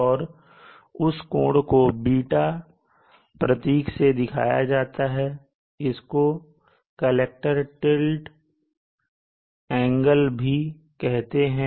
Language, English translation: Hindi, And that angle is denoted by the symbol ß so this is also called the collector tilt, the tilt angle